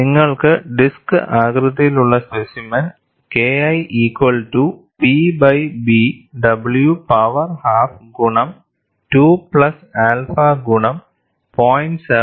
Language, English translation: Malayalam, And you have for the disc shaped specimen K 1 equal to P by B w power half multiplied by 2 plus alpha into 0